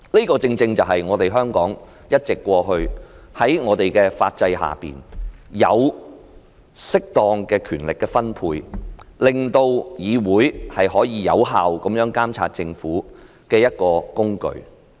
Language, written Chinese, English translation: Cantonese, 這正正是香港過去一直在法制下作出的適當權力分配，也是令議會可有效監察政府的一個工具。, This is precisely an appropriate distribution of powers under the legal system which has long been practised in Hong Kong and a tool for this Council to effectively monitor the Government